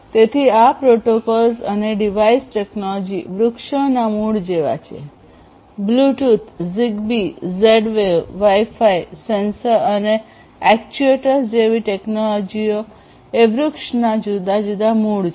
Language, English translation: Gujarati, So, these protocols and device technologies are sort of like the roots of the tree; technologies such as Bluetooth, ZigBee, Z Wave wireless , Wi Fi, sensors, actuators these are the different roots of the tree